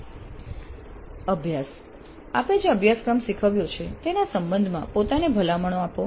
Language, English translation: Gujarati, Exercise give recommendations to yourself with regard to a course you taught